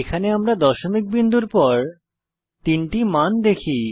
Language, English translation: Bengali, We see here three values after the decimal point